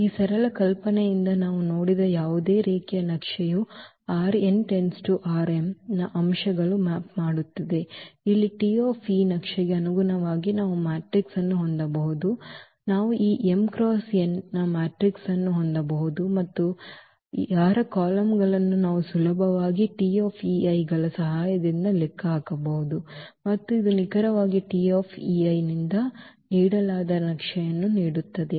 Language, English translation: Kannada, So, by this simple idea what we have seen that any linear map which maps the elements of R n to R m we can have matrix here corresponding to this T e map we can have a matrix A of order again this m cross n and whose columns we can easily compute with the help of this T e i’s and this will give exactly the map which is given as this from R n to R m